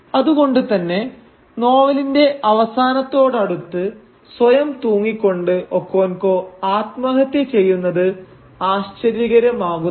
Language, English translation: Malayalam, But and therefore it does not really come as a surprise, when near the end of the novel Okonkwo commits suicide by hanging himself